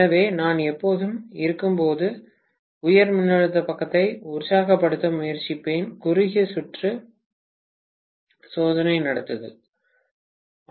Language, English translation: Tamil, So, I would always try to energize the high voltage side when I am conducting the short circuit test